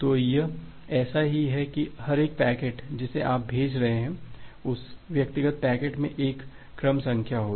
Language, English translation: Hindi, So, it is just like that every individual packet that you are sending out, that individual packet will contain a sequence number